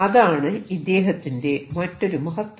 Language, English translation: Malayalam, So, which is another greatness